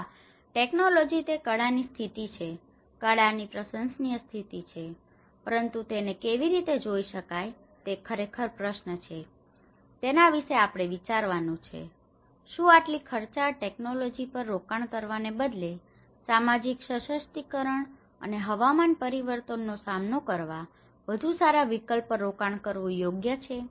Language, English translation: Gujarati, Yes technologically, it is a very state of art; appreciative state of the art, but how one can look at this, is it really the question we have to think about, is it really wise to invest on such expensive technology rather to invest on social empowerment and better alternatives for coping to the climate change so, this is some of the brainstorming understanding one can take on their own call